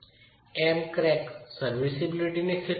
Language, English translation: Gujarati, M crack is at a serviceability condition